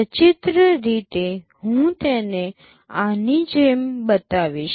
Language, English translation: Gujarati, Pictorially I show it like this